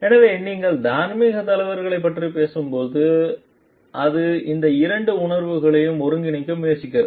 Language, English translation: Tamil, So, when you are talking of moral leaders it tries to integrate these two feel